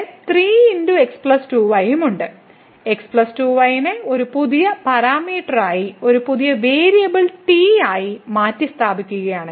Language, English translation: Malayalam, So, if we substitute plus 2 as a new parameter, as a new variable